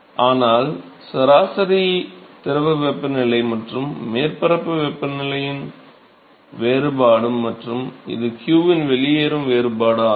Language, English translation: Tamil, So, this is nothing, but the temperature difference of the average fluid temperature and the surface temperature and this is the difference at the exit of the q